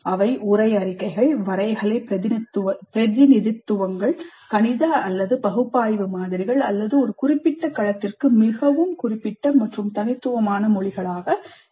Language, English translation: Tamil, They can be textual statements, graphical representations, mathematical or analytical models, or languages which are very specific and unique to a particular domain